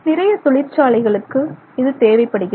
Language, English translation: Tamil, So, much of the industry requires this